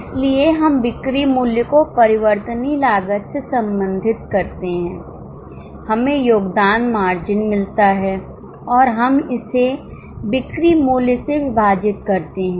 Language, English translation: Hindi, So, we relate the sales price to variable cost, we get the contribution margin and we divide it by selling price